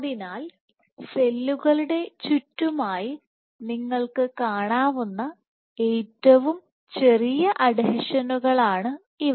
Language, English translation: Malayalam, So, these are the smallest adhesions that you can have at the periphery of the cells